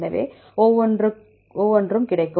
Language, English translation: Tamil, So, each one will get